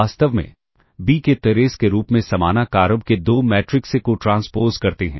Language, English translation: Hindi, In fact, two matrices of the same size a b as trace of to b transpose a